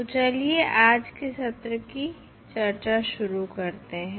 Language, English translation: Hindi, So, let us start the discussing of today’s session